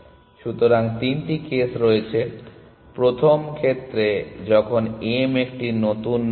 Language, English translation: Bengali, So, there are three cases the first case is when m is a new nod